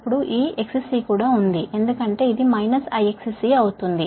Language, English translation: Telugu, now this x is also there, the, because it will be minus i x c